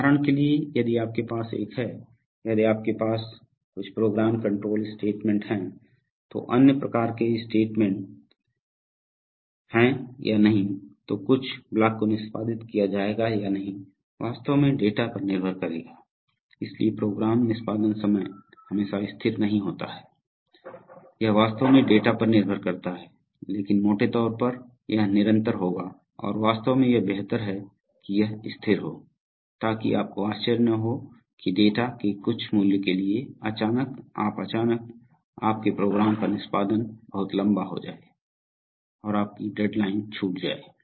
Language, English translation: Hindi, For example if you have a, if you have some program control statements if then else kind of statements then whether some block will be executed or not will actually depend on the data, so program execution time is not always constant, it actually depends on data but roughly it will be constant and in fact it is preferable that it is constant, so that you are not surprised that that for some value of data, suddenly, you are suddenly, your program execution takes a very longtime and your deadlines are missed